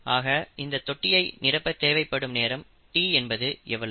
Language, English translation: Tamil, How long would it take t to fill this tank